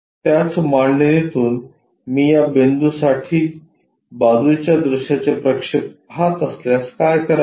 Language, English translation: Marathi, What about if I am looking side view projection for this point for the same configuration